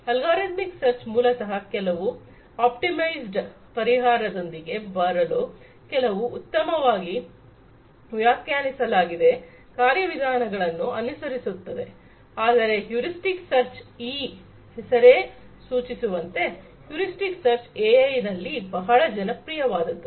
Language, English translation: Kannada, Algorithmic search basically follows certain well defined procedures in order to come up with some optimized solution whereas, heuristic search as this name suggests; heuristic search is popular in AI